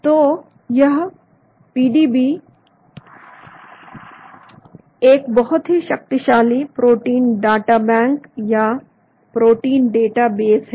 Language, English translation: Hindi, So this PDB is a very powerful protein databank or a protein database